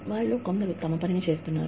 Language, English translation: Telugu, Some of them, are doing their work